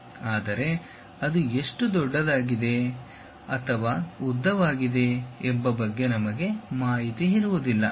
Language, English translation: Kannada, But, we will not be having information about how large or long it is